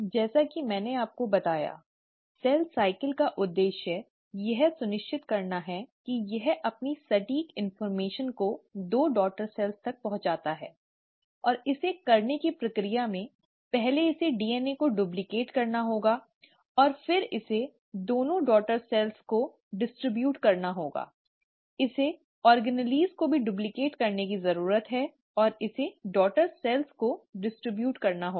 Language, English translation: Hindi, As I told you, the purpose of cell cycle is to ensure that it passes on its exact information, to the two daughter cells, and in the process of doing it, it has to first duplicate it's DNA, and then distribute it to the two daughter cells, it also needs to duplicate it's organelles and distribute it to the daughter cells